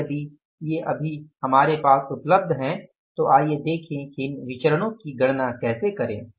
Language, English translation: Hindi, Now this information is given to us and now we have to calculate these variances